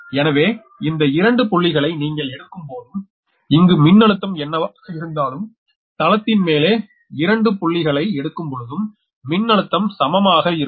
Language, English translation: Tamil, so for any two points you take, whatever the voltage will be here, here, also, this thing above this, above this plane, that anywhere, any two point, the voltage will same point